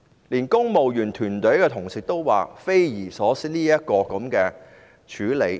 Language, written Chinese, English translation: Cantonese, 連公務員團隊的同事也表示，這樣處理是匪夷所思的。, Even colleagues in the civil service stated that the handling was totally inconceivable